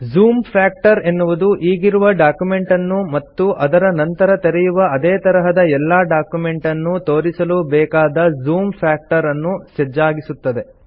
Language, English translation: Kannada, The Zoom factor sets the zoom factor to display the current document and all documents of the same type that you open thereafter